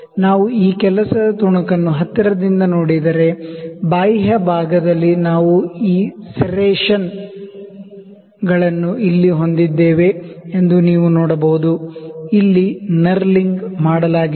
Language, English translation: Kannada, If we see this work piece closely you can see that on the external portion we have this serrations here, this is actually knurling that is done here